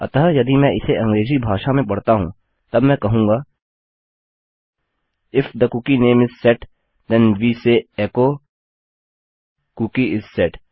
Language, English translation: Hindi, So if I read this out in English language then Ill say If the cookie name is set then we say echo Cookie is set